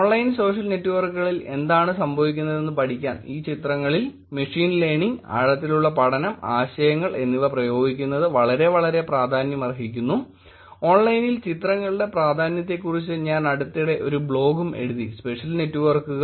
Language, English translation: Malayalam, It has become very, very important to apply these kind techniques like, machine learning, deep learning and concepts around that into these images to study what is happening on online social networks, I actually recently wrote also a blog about the importance of images on online social networks